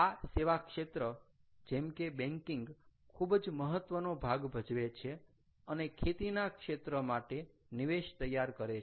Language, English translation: Gujarati, ok, so the service industry, like banking, does play a role and this forms an input to the agriculture sector